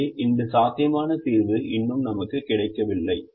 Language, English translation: Tamil, so we have not yet got that feasible solution